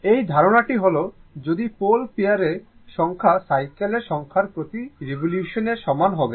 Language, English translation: Bengali, This is the idea that if you have number of pole pairs is equal to number of cycles per revolution